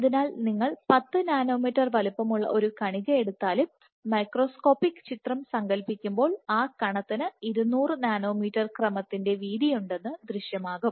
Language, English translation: Malayalam, So, even if you take a particle which is 10 nanometers in size, when you image in the microscope image it will appear that the that the that that particle has a width of order 200 nanometers